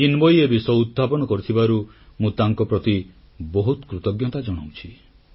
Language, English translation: Odia, I am extremely thankful to young Chinmayee for touching upon this subject